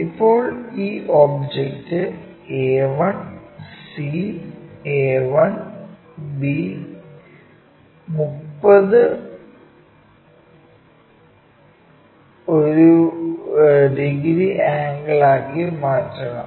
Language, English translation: Malayalam, Now this entire object this entire object a 1 c, a 1 b has to be made into 30 degrees angle